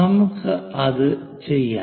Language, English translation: Malayalam, Let us do that